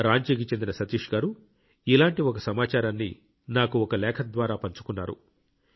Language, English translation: Telugu, Satish ji of Ranchi has shared another similar information to me through a letter